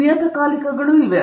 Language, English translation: Kannada, These are magazines okay